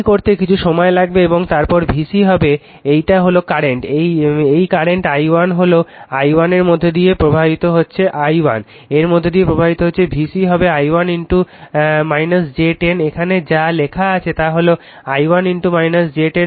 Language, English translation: Bengali, It will take some time to do it right and then V c will be this is the current, this current i 1 is i 1 is flowing through this is the current i 1 is flowing through this V c will be this your i 1 into minus j 10 right, that is what is written here this is i 1 into minus j 10